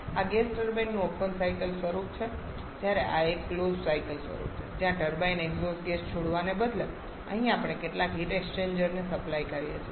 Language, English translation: Gujarati, This is the open cycle form of gas turbine whereas this is a closed cycle form where instead of releasing the exhaust gasses to the turbine here we are supplying that to some heat exchanger